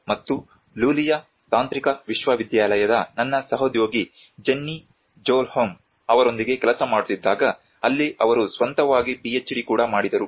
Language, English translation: Kannada, Nilsson and my colleague Jennie Sjoholm from Lulea Technological University where she did her own PhD as well